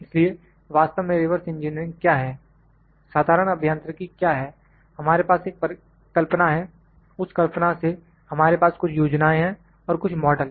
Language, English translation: Hindi, So, what is reverse engineering actually, what is general engineering we have an idea, from the idea we have certain plans for the certain plans of certain model we have